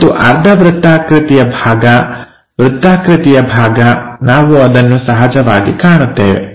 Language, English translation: Kannada, And the semi circular circular portion, we will naturally see